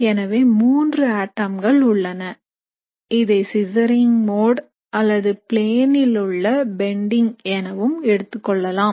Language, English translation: Tamil, So these are my three atoms, it can be either what is called as a scissoring mode or you can also have it bending in the plane, okay